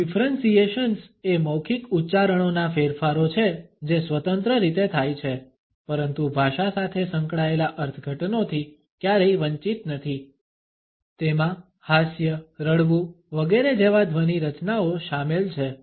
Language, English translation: Gujarati, Differentiations are the modifications of verbal utterances which occur independently, but are never devoid of the interpretations associated with language they include sound constructs such as laughter, crying etcetera